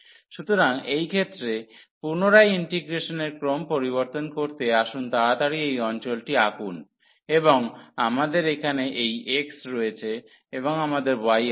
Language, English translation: Bengali, So, changing the order of integration in this case again let us quickly draw the region, and we have this x here and we have y